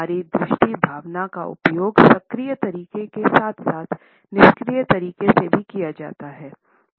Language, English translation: Hindi, Our visual sense is used in an active manner as well as in a passive manner